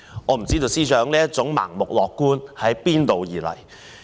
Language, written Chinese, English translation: Cantonese, 我不知道司長這種盲目樂觀是從何而來？, I wonder from where the Financial Secretary has got this blind optimism